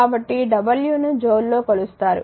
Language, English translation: Telugu, So, the w is measured in joule right